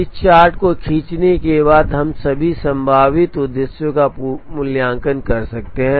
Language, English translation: Hindi, So the moment we get a chart like this we will be able to evaluate all the objectives